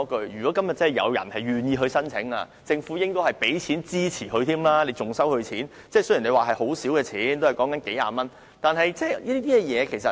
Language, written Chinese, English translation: Cantonese, 如果今天有人願意申請，政府應該付錢支持他，不應收費，即使牌照費很少，只是數十元。, If one is willing to apply for such a licence the Government should give him funding support instead of charging him a fee even if the licence fee is as little as several dozens of dollars